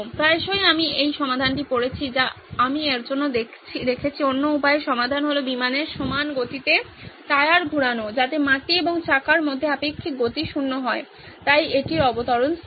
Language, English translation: Bengali, One often time I have read this solution that I have seen for this is the other way round solution is to rotate the tyre at the same speed as the aircraft so the relative speed between the ground and the wheels are zero, so is as if it’s landing stationary